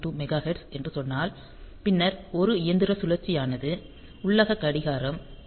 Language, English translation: Tamil, 0592 Mega Hertz; then one machine cycle is; to get a, so the internal clock that it has is 11